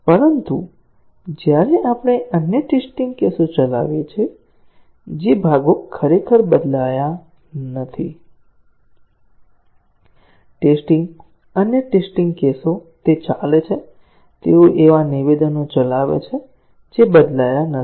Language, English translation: Gujarati, But, when we run the other test cases, the parts that are not changed actually, the test, other test cases, they run; they execute statements that have not changed